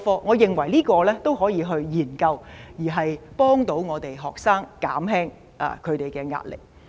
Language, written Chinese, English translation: Cantonese, 我認為這點都可以研究，以協助學生減輕他們的壓力。, I think we can consider the suggestion to assist students in reducing their pressure